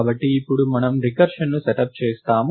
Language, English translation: Telugu, So, now we setup the recursion